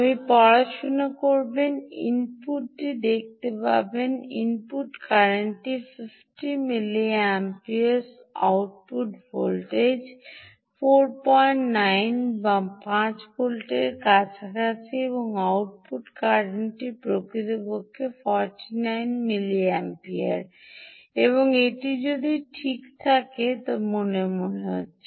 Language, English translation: Bengali, you will see that input is eight, the input current is a fifty milliamperes, output voltages is four point nine, thats close five volts, and the output current, indeed, is forty nine milliamperes and ah